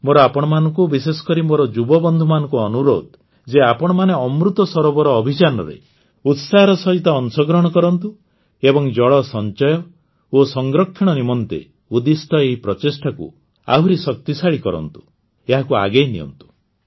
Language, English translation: Odia, I urge all of you, especially my young friends, to actively participate in the Amrit Sarovar campaign and lend full strength to these efforts of water conservation & water storage and take them forward